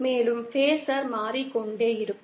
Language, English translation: Tamil, And the phasor keeps on changing